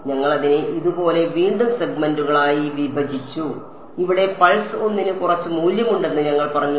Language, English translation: Malayalam, We broke it up like this again into segments and here we said pulse 1 has some value